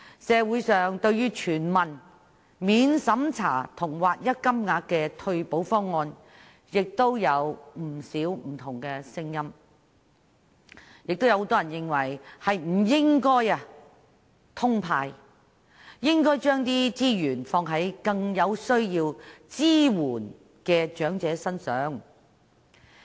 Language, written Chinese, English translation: Cantonese, 社會對全民免經濟審查及劃一金額的全民退休保障制度有不少不同的聲音，亦有很多人認為不應"通派"，而應該將資源用於更需要支援的長者身上。, There are many dissenting views in society on a non - means - tested universal retirement protection system with uniform payment . And many people also think that resources should be utilized on elderly people in greater need of support rather than indiscriminate cash handouts